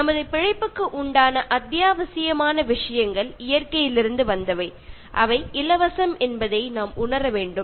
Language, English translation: Tamil, We need to realise that the essential things for our survival come from nature and they are free